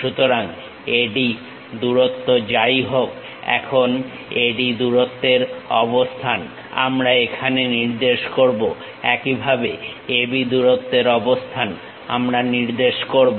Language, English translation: Bengali, So, we locate whatever the AD length here same AD length here we will locate it; similarly, AB length AB length we will locate